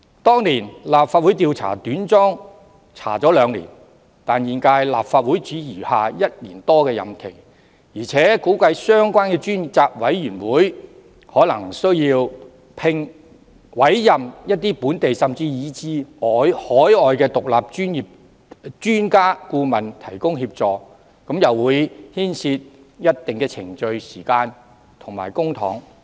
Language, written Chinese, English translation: Cantonese, 當年立法會花了兩年時間調查短樁事件，但本屆立法會只餘下1年多任期，而且估計相關專責委員會可能需要委任一些本地甚至海外的獨立專家顧問提供協助，會牽涉一定的程序、時間和公帑。, Back then the Legislative Council took two years to inquire into the substandard piling works incident . But there is only some one year left in the current term of the Legislative Council . Moreover it is anticipated that the relevant select committee may need to commission some local and even overseas independent expert consultants to provide assistance thus entailing considerable procedures time and public money